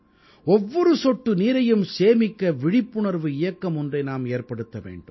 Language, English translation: Tamil, Let us start an awareness campaign to save even a single drop of water